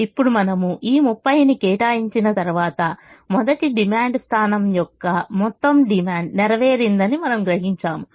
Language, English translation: Telugu, now, once we have allocated this thirty, we realize that the entire demand of the first demand point has been met